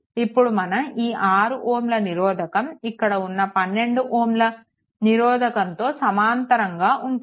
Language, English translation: Telugu, And at that time this 6 ohm will be in parallel to this 12 ohm and with this 12 ohm right